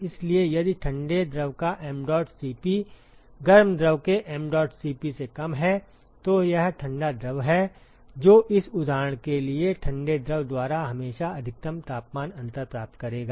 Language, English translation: Hindi, So, if the mdot Cp of the cold fluid is less than the mdot Cp of the hot fluid then it is the cold fluid which will always achieve the maximal temperature difference, by cold fluid for this example